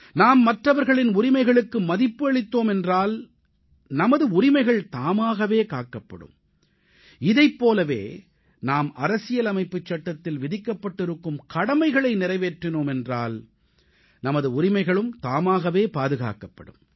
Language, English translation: Tamil, If we respect the rights of others, our rights will automatically get protected and similarly if we fulfill our duties, then also our rights will get automatically protected